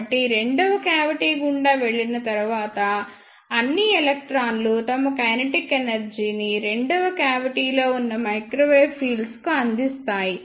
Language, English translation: Telugu, So, after passing through second cavity, all the electrons will give up their kinetic energy to the ah microwave fields present in the second cavity